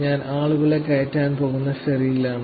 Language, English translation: Malayalam, I am on the ferry going to pick up the people